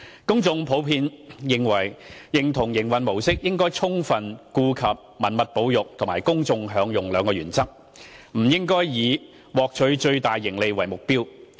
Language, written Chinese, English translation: Cantonese, 公眾普遍認同營運模式應充分顧及文物保育及公眾享用兩項原則，不應以獲取最大盈利為目標。, There was public consensus that the operation model should have due regard to heritage conservation and public enjoyment and should avoid profit - maximization